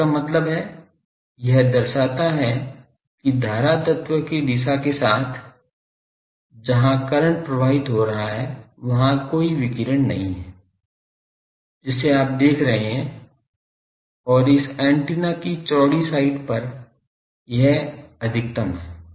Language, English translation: Hindi, So that means, it shows that along the direction of the current element, where the current is flowing, there is no radiation you see and, it is having a maximum at a broad side to this antenna